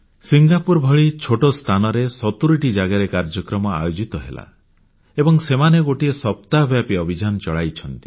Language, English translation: Odia, In a small country like Singapore, programs were organised in 70 places, with a week long campaign